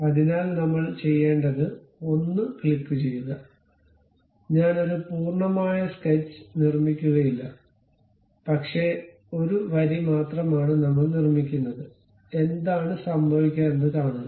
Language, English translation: Malayalam, So, what I will do is click one, I would not construct a complete sketch, but something like a lines only we will construct see what will happen